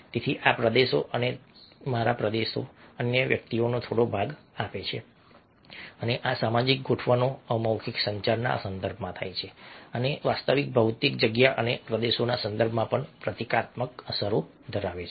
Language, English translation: Gujarati, so these territories giving him a little bit of my territory, the other person, this social adjustments in the context of non verbal communication takes place and i have symbolic implications even in the context of actual physical space and territory